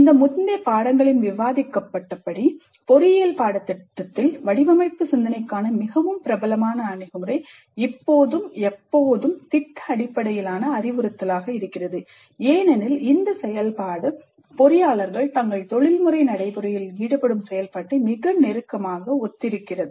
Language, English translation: Tamil, Now, as discussed in these earlier units, the most popular approach for design thinking in engineering curricula was and continues to be project based instruction because that activity most closely resembles the activity that engineers engage in during their professional practice